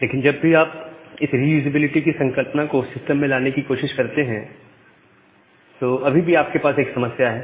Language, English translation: Hindi, But whenever you are bringing this concept of reusability in the system, you still have a problem